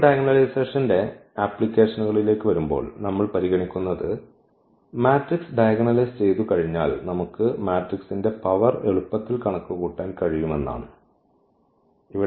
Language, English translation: Malayalam, Now, coming to the applications of the diagonalization, the first application we will consider that we can easily compute the power of the matrices once we can diagonalize the matrix